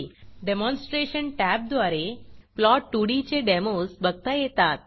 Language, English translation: Marathi, Demos of plot2d can be viewed through the demonstration tab